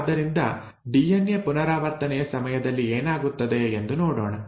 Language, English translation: Kannada, So let us look at what happens during DNA replication